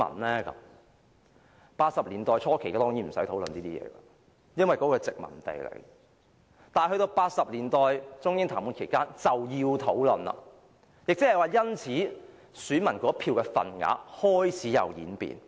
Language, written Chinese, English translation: Cantonese, 在1980年代初期當然不用討論這些問題，因為當時香港是殖民地；但到了1980年代中英談判期間便要討論，亦即是說，選民那一票的份額開始有所演變。, There was of course no need to discuss these issues in the early 1980s because Hong Kong was then a colony . However when the Sino - British negotiations started later in the decade they must be discussed and this signified the start of changes to the weights of peoples votes